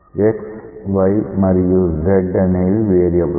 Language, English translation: Telugu, So, x y z are the variable